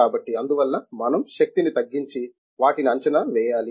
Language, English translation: Telugu, So, therefore, we have to minimize the energy and predict them